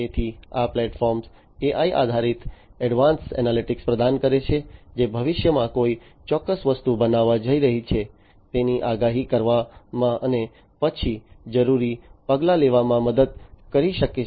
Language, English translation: Gujarati, So, basically this platform provides AI based Advanced Analytics, which can help in predicting when a particular thing is going to happen in the future and then taking requisite actions